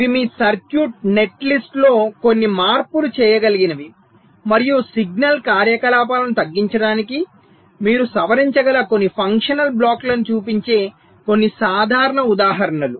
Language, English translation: Telugu, so these are some simple examples which show that you can make some changes in your circuit, netlist and also some functional blocks you can modify so as to reduce the signal activities, right